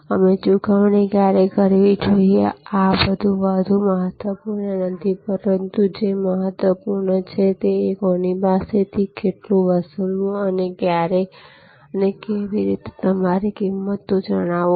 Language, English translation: Gujarati, And when should the payment we made where these are more no so critical, but what is critical is how much to charge whom and when and how do you communicate your prices